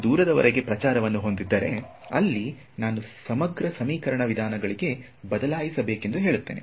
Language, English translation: Kannada, So, if I have propagation over long distances, over there I say I should switch to integral equation methods